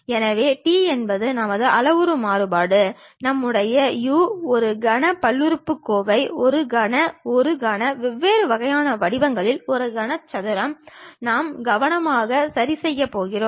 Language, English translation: Tamil, So, t is our parametric variable, like our u, a cubic polynomial, a cubic, a cubic, a cubic in different kind of formats we are going to carefully adjust